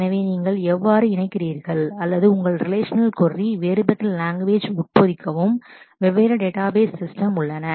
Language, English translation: Tamil, So, how do you connect to or embed such embed your relational query into different languages that differ between different database systems